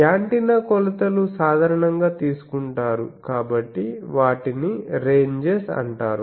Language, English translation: Telugu, Antenna measurements are usually taken so they are called ranges